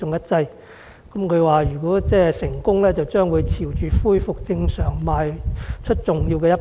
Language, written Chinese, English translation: Cantonese, 他指出，如果成功，將會朝着恢復正常邁出重要的一步。, He pointed out that if successful it would be an important step towards returning to normal life